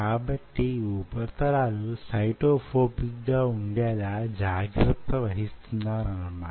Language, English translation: Telugu, ok, so you are kind of ensuring that these surfaces are cyto phobic